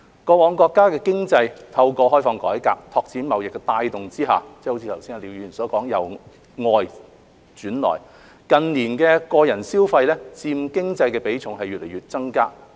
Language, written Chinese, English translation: Cantonese, 過往國家的經濟透過開放改革、拓展貿易的帶動下，就好像剛才廖議員所說，是由外轉內，近年個人消費佔經濟的比重不斷增加。, In the past the countrys economy was driven by reform and opening up as well as trade development and as Mr LIAO has said earlier it has shifted from externally - oriented to internally - oriented . In recent years the share of individual consumption in its economy has been increasing